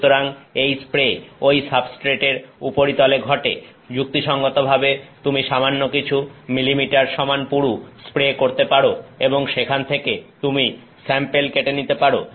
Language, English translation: Bengali, So, this spray will occur on the surface of that substrate, you can make a reasonably thick spray of a few millimeters thick and from that you can cut out samples